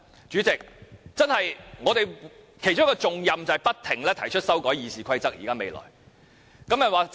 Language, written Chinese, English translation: Cantonese, 主席，我們未來其中一項重任便是不斷提出修改《議事規則》。, President one of our very important tasks in the future will be to constantly amend RoP